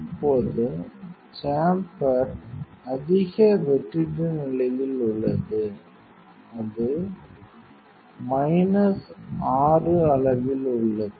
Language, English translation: Tamil, Now, the chamber is in a high vacuum condition, it is at minus 6 level